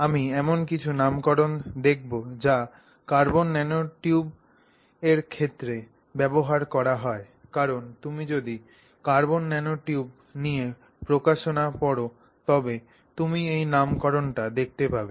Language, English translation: Bengali, I will look at some nomenclature that is used with respect to carbon nanotubes because if you read publications in the area of carbon nanotubes you will tend to see this nomenclature